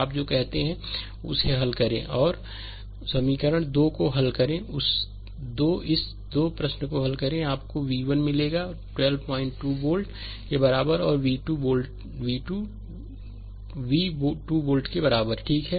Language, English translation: Hindi, Now solve you what you call you solve equation 1 and equation 2 this 2 question, we solve you will get v 1 is equal to 13